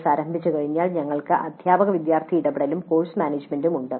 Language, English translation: Malayalam, Then once the course commences, teacher student interaction, course management